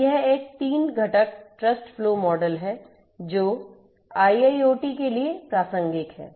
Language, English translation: Hindi, So, its a 3 component trust flow model that is relevant for IIoT